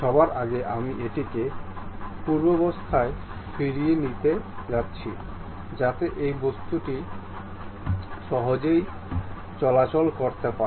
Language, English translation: Bengali, First of all I am undoing it, so that this object can be easily moving